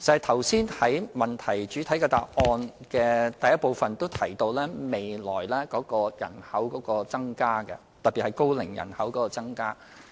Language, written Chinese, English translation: Cantonese, 剛才主體答覆第一部分亦指出未來人口會增加，特別是高齡人口。, Part 1 of the main reply also projected a growing population especially a growing elderly population in the future